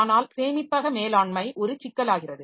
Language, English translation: Tamil, So, that storage allocation is a problem